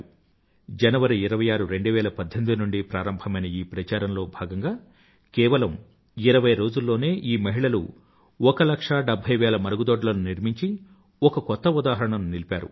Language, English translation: Telugu, Under the auspices of this campaign starting from January 26, 2018, these women constructed 1 lakh 70 thousand toilets in just 20 days and made a record of sorts